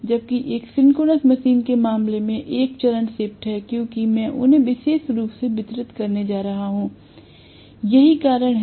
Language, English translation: Hindi, Whereas in the case of a synchronous machine there is a phase shift because I am going to have them specially distributed that is the reason right